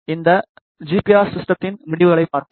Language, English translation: Tamil, Let us have a look at the results of this GPR system